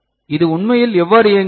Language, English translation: Tamil, So, how does it really work